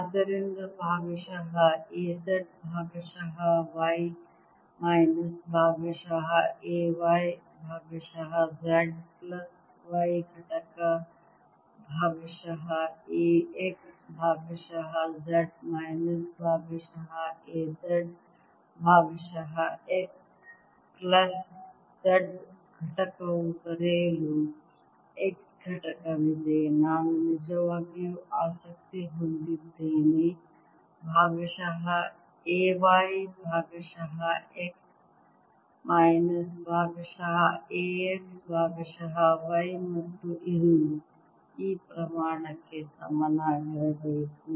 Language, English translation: Kannada, that's why x component, which is partial a z, partial y, minus, partial a, y, partial, z plus y component, partial a, x, partial z minus partial a z, partial x plus z component, which i am really interested in, partial a, y, partial x minus, partial a, x, partial, and this should be equal to this quantity